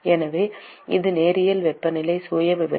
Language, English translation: Tamil, So, it is linear temperature profile